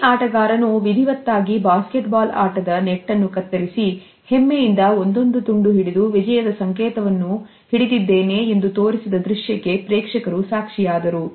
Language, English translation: Kannada, The audience witnessed that each player had ritualistically cut a piece of the basketball net and proudly clutched this symbol of victory